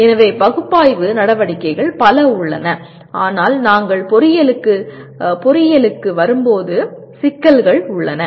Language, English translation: Tamil, So analyze activities are very many but that is where we get into problem when we come to engineering